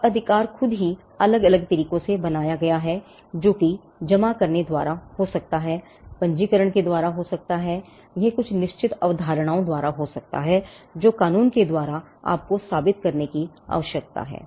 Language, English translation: Hindi, Now, the right itself is created in different ways it could be by deposit, it could be by registration, it could be by certain concepts which the law requires you to prove